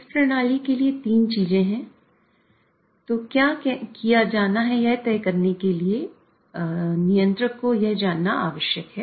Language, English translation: Hindi, So, for this system, there are three things the controller need to know in order to decide what should be done